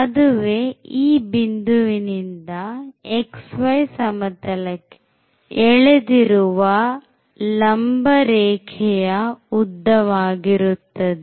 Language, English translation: Kannada, So, the distance from this point to this perpendicular drawn to the xy plane